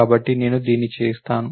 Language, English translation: Telugu, So, I would do this